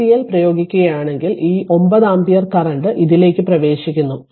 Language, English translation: Malayalam, If you apply KCL so, this 9 ampere current is entering into this